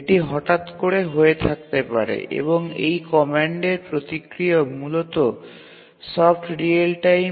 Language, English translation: Bengali, And also the response to this command is basically soft real time